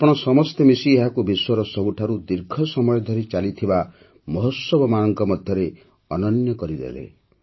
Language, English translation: Odia, All of you together have made it one of the longest running festivals in the world